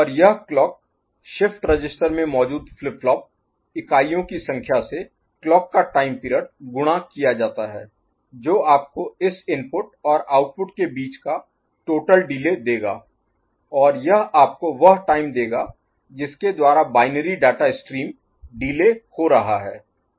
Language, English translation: Hindi, And, this clock the clock time period multiplied by the number of flip flop units that is there in the shift register will be giving you the total delay between this input and output and that will give you the time by which the binary data stream is getting delayed, ok